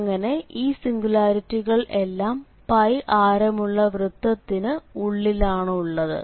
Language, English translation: Malayalam, So, in this case all these singular points are lying inside the circles